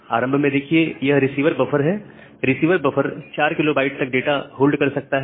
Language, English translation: Hindi, So, the receiver buffer can hold up to 4 kB of data